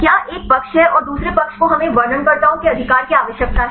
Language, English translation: Hindi, Is there are one side and the other side we need to have the descriptors right